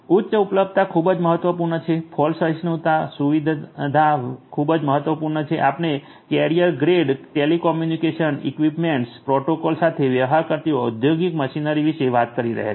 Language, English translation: Gujarati, High availability is very important, fault tolerance feature is very important, we are talking about industrial machinery dealing with carrier grade telecommunication equipments, protocols and so on